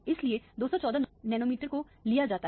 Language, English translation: Hindi, So, the 214 nanometer is taken